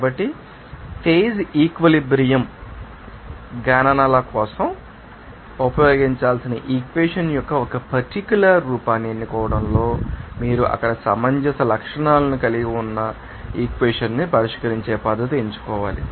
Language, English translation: Telugu, So, in selecting a particular form of the equation to be used for phase equilibrium calculations, you must select a method of solving that equation that has desirable convergence characteristics to there